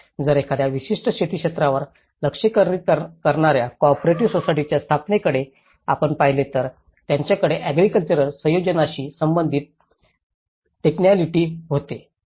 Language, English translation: Marathi, So, if you look at the setup of any cooperative society which is focused on a particular agricultural sector, they were having the technicality with relation to the agricultural setups